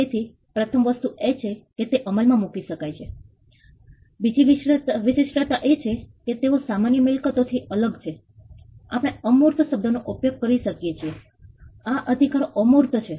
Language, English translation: Gujarati, So, the first thing is they are enforceable, the second trait is that they are different from normal property we can use the word intangible these rights are intangible